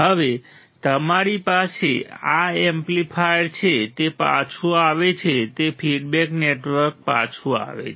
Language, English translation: Gujarati, Now, you have this amplifier it goes it comes back it feeds the feedback network comes back right